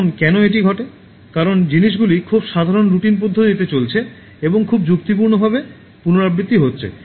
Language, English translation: Bengali, Now why it happens because things are going in a very normal routine manner and is getting repeated in a very logical straight forward manner